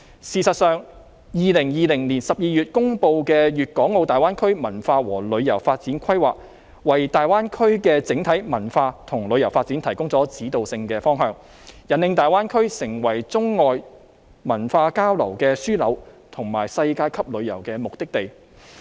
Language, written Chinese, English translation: Cantonese, 事實上 ，2020 年12月公布的《粵港澳大灣區文化和旅遊發展規劃》，為大灣區的整體文化和旅遊發展提供了指導性方向，引領大灣區成為中外文化交流的樞紐，以及世界級旅遊的目的地。, As a matter of fact the Culture and Tourism Development Plan for Guangdong - Hong Kong - Macao Greater Bay Area published in December 2020 had set out a general direction guiding the development of the cultural and tourism development of the Greater Bay Area which would make the Greater Bay Area the cultural exchange hub for China and foreign countries as well as a world - class travel destination